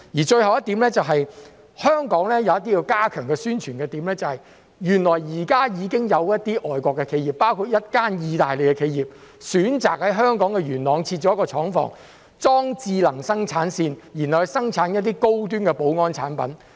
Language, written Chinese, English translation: Cantonese, 最後一點，香港有一些需要加強宣傳的點，原來現時已經有一些外國企業，包括一間意大利企業選擇在香港元朗設置廠房，安裝智能生產線，生產一些高端保安產品。, Lastly there are some points which require further promotion in Hong Kong . It is noted that some foreign companies have set up factories in Hong Kong including an Italian company which has chosen to set up a factory in Yuen Long set up smart production lines for the production of some high - end security products